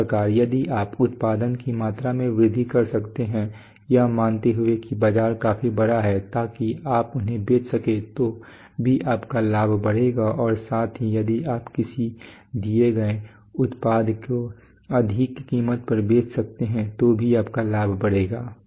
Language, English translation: Hindi, Similarly if you can increase the increase the production volume assuming that the market is large enough so that you can sell them then also your profit will increase and at the same time if you can sell a given product at a higher price then also your profit will increase